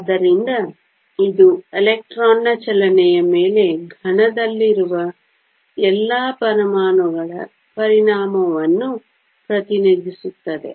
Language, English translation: Kannada, So, this represents the effect of all the atoms in the solid on the movement of the electron